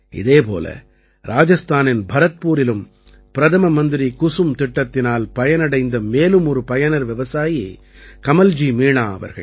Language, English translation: Tamil, Similarly, in Bharatpur, Rajasthan, another beneficiary farmer of 'KusumYojana' is Kamalji Meena